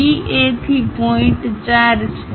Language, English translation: Gujarati, From DA the point is 4